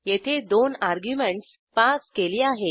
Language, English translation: Marathi, We have passed two arguements here